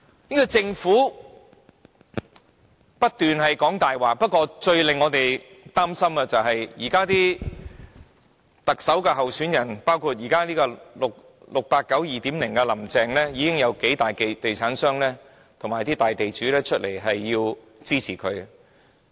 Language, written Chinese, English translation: Cantonese, 這個政府不斷說謊，不過，最令我們擔心的是，現在的特首候選人，包括 "689" 的 "2.0" 版本林鄭月娥，已經有數大地產商和大地主公開支持。, This Government keeps on lying . But what worries us most is that the candidates now running for the Chief Executive election including 689 version 2.0 Carrie LAM have gained open support from several major property developers and landlords